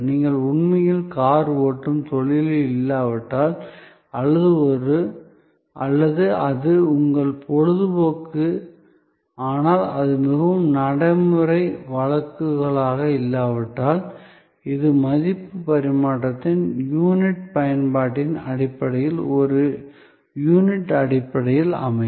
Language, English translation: Tamil, Unless, you really are in the profession of car driving or it is your hobby, but was most practical cases, then it could be based on this per unit of usage basis of value exchange